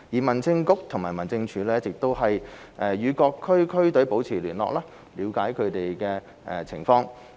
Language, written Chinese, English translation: Cantonese, 民政局和民政處一直與各支區隊保持聯絡，以了解它們的情況。, The Home Affairs Bureau and the District Offices have been in close contact with district teams to understand their situation